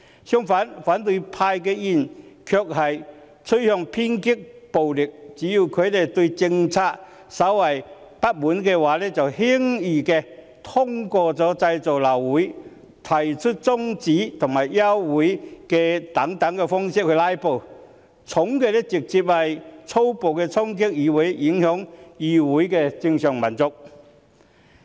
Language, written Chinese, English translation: Cantonese, 相反，反對派議員卻趨向偏激暴力，只要他們對政策稍為不滿，輕則透過製造流會、提出中止待續及休會待續議案等方式來"拉布"，重則粗暴衝擊議會，影響議會的正常運作。, On the contrary opposition Members are getting radical and violent . As long as they are dissatisfied with any policy regardless of the extent they will at best cause the meeting to adjourn with the lack of a quorum or filibuster by way of proposing a motion to adjourn a debate or the Council . At worst they will violently storm the legislature and affect its normal operation